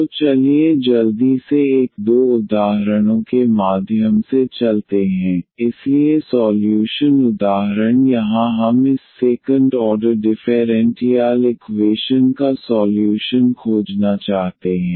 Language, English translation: Hindi, So let us go through a quickly a two examples, so the first example here we want to find the solution of this second order differential equation